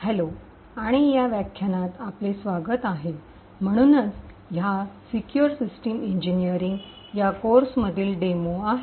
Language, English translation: Marathi, and welcome to this lecture so this is the demo in the course for in secure systems engineering